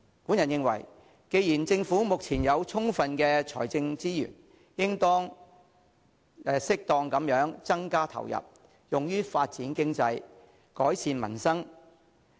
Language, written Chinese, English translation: Cantonese, 我認為既然政府目前有充分的財政資源，應當適當地增加投入，用於發展經濟，改善民生。, Since currently the Government has an abundant supply of fiscal resources I think it should suitably increase the funding for promoting economic development and improving peoples livelihood